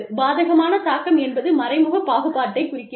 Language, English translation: Tamil, Adverse impact refers to, indirect discrimination